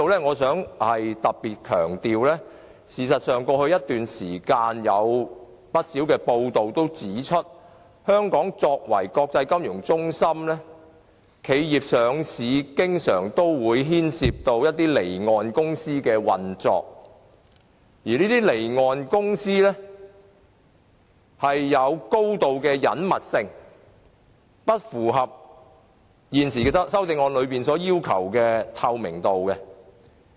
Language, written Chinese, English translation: Cantonese, 我想在此強調，過去一段時間有不少報道指，香港作為國際金融中心，公司上市經常牽涉離岸公司，而離岸公司有高度的隱密性，與修正案中所強調的透明度有落差。, Here I wish to stress that as pointed out by many news reports over the past periods the listing of companies in this international financial centre of Hong Kong very often involves off - shore companies . Such off - shore companies are marked by a high degree of secrecy and it defies the kind of transparency emphasized in the amendment